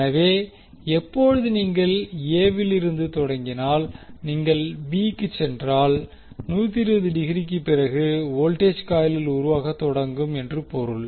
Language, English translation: Tamil, So, when, when you see in this figure if you start from A then if you move to B that means that after 120 degree the voltage will start building up in the coil